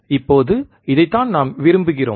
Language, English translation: Tamil, Now this is what we want